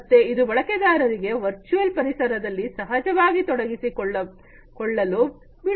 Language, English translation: Kannada, So, it allows the users to get naturally absorbed into the virtual environment